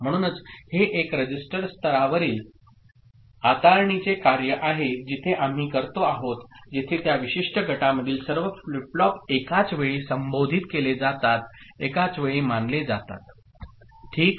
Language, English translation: Marathi, So, it will be a register level manipulation that we are doing where all the flip flops within that particular group are addressed simultaneously, are considered simultaneously ok